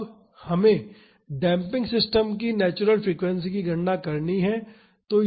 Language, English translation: Hindi, So, we can calculate the damping ratio and natural frequencies